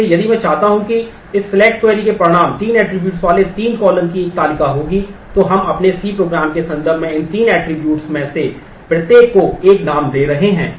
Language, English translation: Hindi, So, if I want to the result of this select will be a table of three attributes three columns, so we are giving a name to each one of these three attributes in terms of our C program